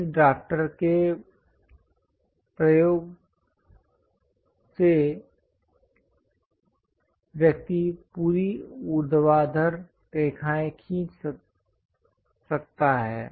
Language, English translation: Hindi, Using this drafter, one can draw complete vertical lines